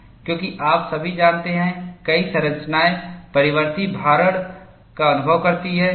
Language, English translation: Hindi, Because all you know, many structures experience variable loading